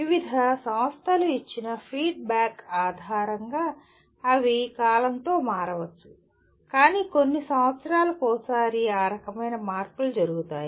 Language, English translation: Telugu, They may change with time based on the feedback given by various institutes but that kind of modifications will take place once in a few years